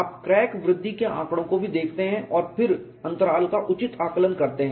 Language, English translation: Hindi, You also look at crack growth data and then estimate the intervals appropriately